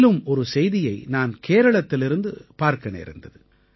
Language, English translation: Tamil, I have seen another news from Kerala that makes us realise our responsibilities